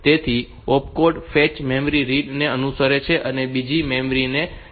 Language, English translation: Gujarati, So, opcode fetch followed my memory read followed by another memory read